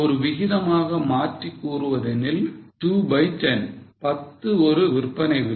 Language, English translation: Tamil, If you convert it as a ratio 2 by 10, 10 is a selling price